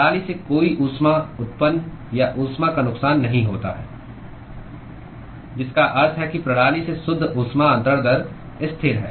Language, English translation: Hindi, There is no heat generation or heat loss from the system which means that the net heat transfer rate from the system is constant